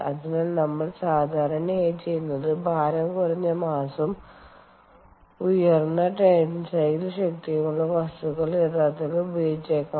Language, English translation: Malayalam, so what we typically do is we use may actually use materials with lighter mass and high tensile strength, for example, carbon fiber reinforced materials